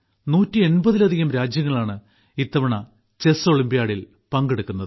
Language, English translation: Malayalam, This time, more than 180 countries are participating in the Chess Olympiad